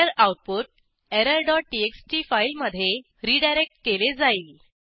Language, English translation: Marathi, The error output is redirected to error dot txt file